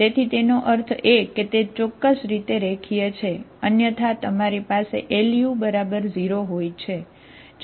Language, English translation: Gujarati, So that means crudely what is the linear, otherwise you have Lu equal to 0